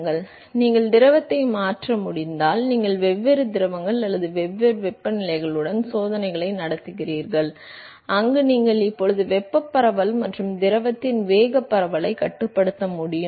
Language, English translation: Tamil, So, if you can change the fluid, you conduct the experiments with different fluids or different temperatures, where you are now able to control the thermal diffusivity and the momentum diffusivity of the fluid